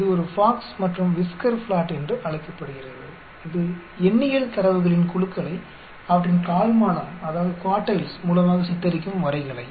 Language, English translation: Tamil, It is also called a box and whisker plot, this is a graphical depicting groups of numerical data through their quartiles